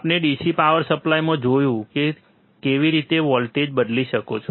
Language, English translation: Gujarati, In DC power supply we have seen how we can change the voltage, right